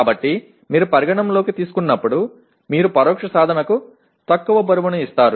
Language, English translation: Telugu, So while you take into consideration, you give less weightage for the indirect attainment